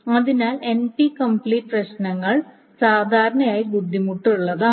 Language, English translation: Malayalam, So, NP complete problems are typically thought of as hard problems